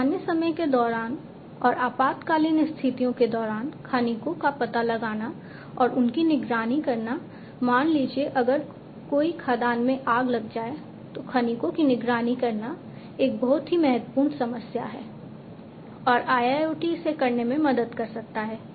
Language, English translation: Hindi, Locating and monitoring the miners during normal times and during emergency situations let us say if there is a mine fire locating and monitoring the miners is a very important problem and IIoT can help in doing